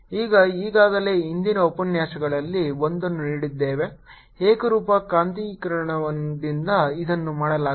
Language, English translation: Kannada, we have already seen in one of the lectures earlier that this is done by a uniform magnetization